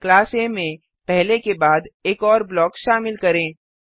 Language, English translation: Hindi, Include one more block after the first one in class A